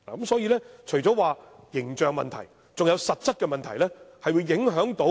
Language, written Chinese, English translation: Cantonese, 所以，除了形象問題外，還有實質的問題。, Hence apart from the problem about its image there are practical problems too